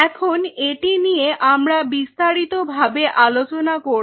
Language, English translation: Bengali, Now this is something we will be discussing little bit more